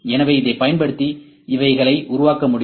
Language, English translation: Tamil, So, these things can be created using this